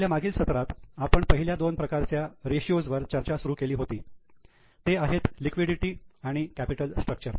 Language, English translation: Marathi, Now, in our last session, we had started discussion on first two types of ratios, that is liquidity and capital structure